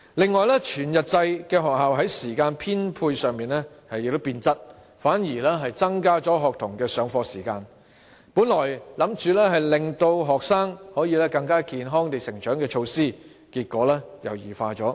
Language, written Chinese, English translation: Cantonese, 此外，全日制學校在時間編配上亦變了質，反而增加學童的上課時間，原意是令學生可以更健康成長的措施，結果卻已經異化。, Moreover the allocation of time in whole - day schools has changed for the worse increasing the school hours of students . A measure which originally intended to enable students to grow up more healthily has resulted in a morbid change